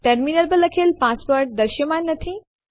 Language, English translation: Gujarati, The typed password on the terminal, is not visible